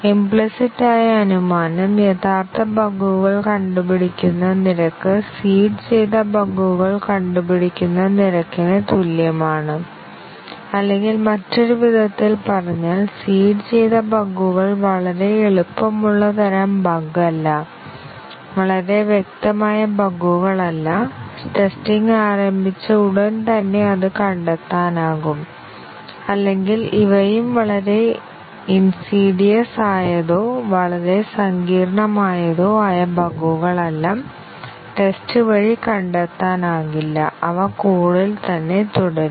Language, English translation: Malayalam, The implicit assumption is that, the rate at which the original bugs are getting detected is the same as the rate at which the seeded bugs are getting detected; or in other words, the seeded bugs are not too easy type of bug, too obvious bugs, which get detected almost immediately after the testing starts; or these are also neither the type of bugs that are too insidious or too complex, not to be detected by the test and they remain in the code